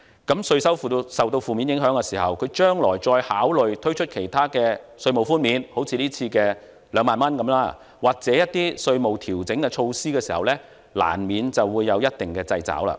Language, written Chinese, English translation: Cantonese, 當稅收受到負面影響時，它將來再考慮推出其他稅務寬免，好像今次的2萬元或一些稅務調整措施時，難免有一定的掣肘。, When the tax revenue is undermined the Government will inevitably be faced with some constraints in considering the introduction of other tax concessions similar to the current 20,000 or some tax adjustment measures